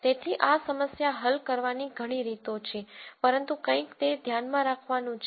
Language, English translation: Gujarati, So, there are ways of solving this problem, but that is something to keep in mind